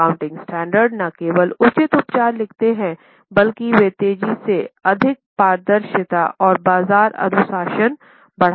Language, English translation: Hindi, Now, accounting standards not only prescribe appropriate treatment but they foster greater transparency and market discipline